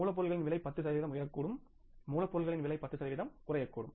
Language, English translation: Tamil, Cost of raw material can go up by 10 percent